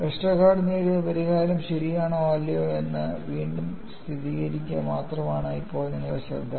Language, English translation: Malayalam, Now our focus is only to re confirm whether the solution obtained by Westergaard is correct or not; and what you will have to look at